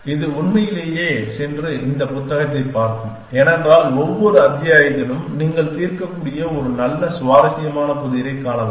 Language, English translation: Tamil, It will really go and look at this book because begging in a every chapter a given nice interesting puzzle that you can solve